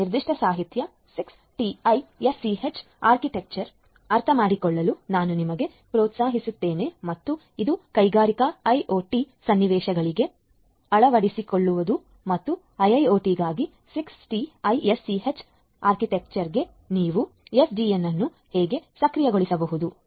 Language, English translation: Kannada, This particular literature I would encourage you to go through in order to understand the 60’s architecture and it is adoption for industrial IoT scenarios and how you could have the SDN enabled for the 6TiSCH architecture for a IIoT